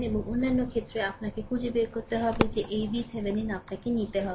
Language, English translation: Bengali, And other case, that you have to find out that this V Thevenin you have to obtain